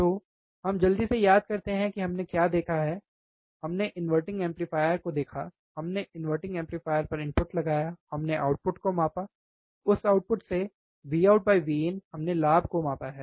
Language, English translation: Hindi, So, for now, let us quickly recall what we have seen we have seen inverting amplifier, we have applied the input at a inverting amplifier, we measure the output from that output, V out by V in, we have measured the gain, right